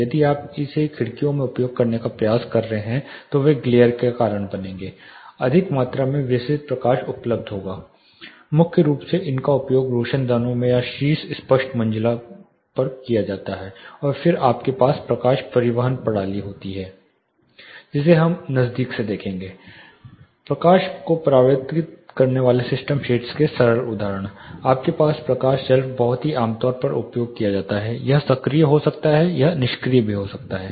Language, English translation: Hindi, If you are trying to use it in windows they will cause glare excess amount of diffuse light will be available primarily they are used in skylights or on the top clerestory’s and then you have light transport system which we will take a closer look at simple example of light reflecting system shades you have light shelf very commonly used it can be active it can be passive